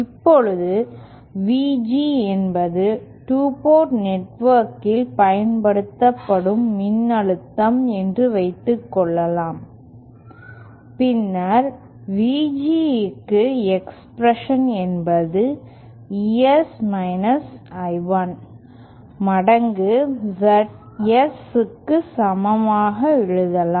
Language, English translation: Tamil, Now suppose VG is the voltage that is applied to the 2 port network, then we can write an expression for VG as equal to ES I1 times ZS